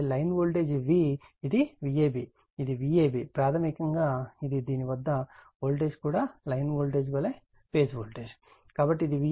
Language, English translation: Telugu, So, line voltage V what you call this is my V ab, this is my V ab is equal to basically this is also voltage across this is phase voltage same as the line voltage